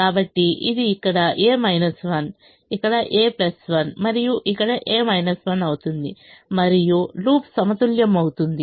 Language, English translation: Telugu, so i put a plus one here, so it becomes a minus one here, a plus one here and a minus one here, and the loop is balanced